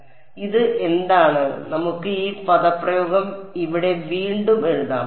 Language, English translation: Malayalam, So, what is this let us rewrite this expression over here